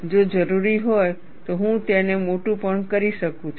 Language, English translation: Gujarati, If it is necessary, I can also enlarge it